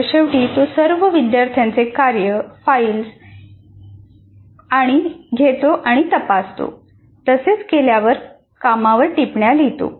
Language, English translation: Marathi, And then at the end of the session, he collects the work, takes the work of all the students home, marks the work and writes comments on the work